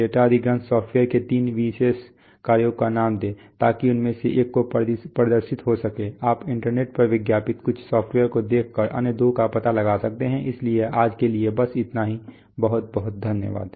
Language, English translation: Hindi, Name three typical functions of a data acquisition software, so one of them could be display you can figure out the other two by looking at some of the software which are advertised on the internet, so that is all for today thank you very much